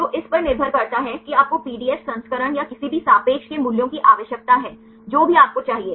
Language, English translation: Hindi, So, depending upon which one you want the pdf version or the any relative values whatever you need